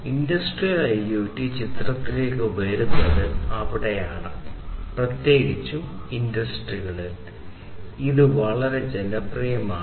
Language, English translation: Malayalam, So that is where industrial IoT comes into picture and is so much popular, particularly in the industry